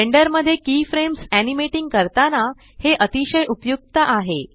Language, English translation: Marathi, This is very useful while animating keyframes in Blender